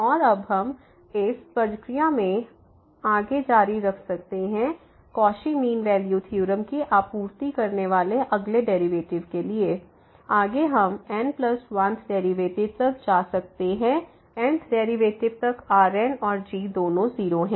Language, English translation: Hindi, And now we can continue this process further for the next derivative supplying this Cauchy's mean value theorem further what you will get we can go up to the plus 1th derivative because, up to n th derivative and both are 0